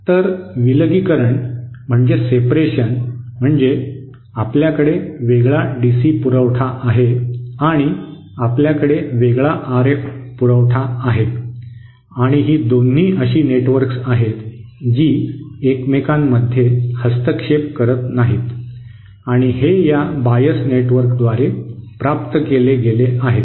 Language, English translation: Marathi, So separation means that you have a different you know you have a separate DC supply, you have a separate RF supply and they are the both the two networks are not interfering with each other and that is achieved by this bias network